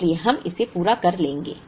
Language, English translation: Hindi, So, we would get, when we complete this